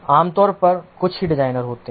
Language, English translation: Hindi, There is typically a couple of designers